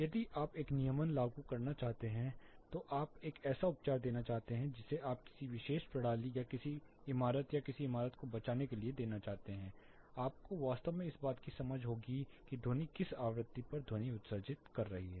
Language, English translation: Hindi, In case you want to impose a regulation, you want to give a treatment you want to give protect or insulate a particular system or a building you will have to really have an understanding of where which frequency spectrum the sound is getting emitted